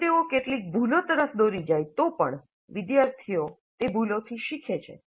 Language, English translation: Gujarati, And even if they lead to some errors, the students learn from those errors